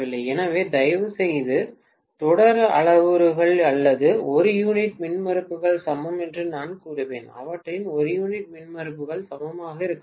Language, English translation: Tamil, So, please include that as well that the series parameters or I would say per unit impedances are equal, their per unit impedances should be equal